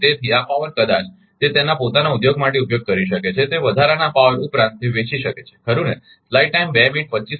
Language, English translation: Gujarati, So, this power maybe he can use for his own own ah industry in addition to that x is power he can sell it right